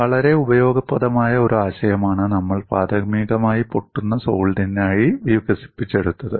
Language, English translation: Malayalam, It is a very useful concept that we have primarily developed it for a brittle solid